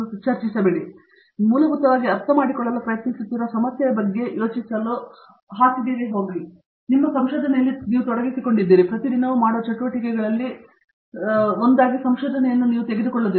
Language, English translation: Kannada, And then, you should be able to go to bed thinking about the problem that you are trying to solve okay that basically means, you are involved in your research, you do not take a research as one of activities that you do on a daily basis